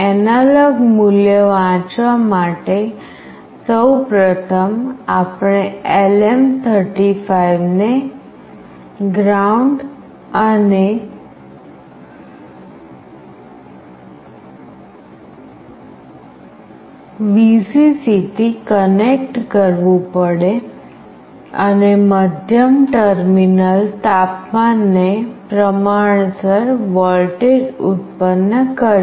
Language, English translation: Gujarati, For reading the analog value, firstly we need to connect LM35 to ground and Vcc, and the middle terminal will produce a voltage proportional to the temperature